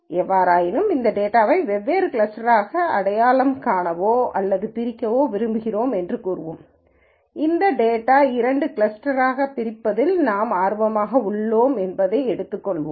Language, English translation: Tamil, In any case let us say we want to identify or partition this data into different clusters and let us assume for the sake of illustration with this example that we are interested in partitioning this data into two clusters